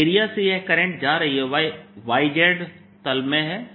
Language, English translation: Hindi, the area across which it is going is the y z plane